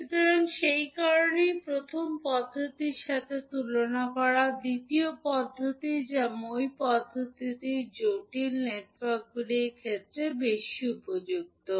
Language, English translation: Bengali, So that is why compared to first method, second method that is the ladder method is more appropriate in case of complex networks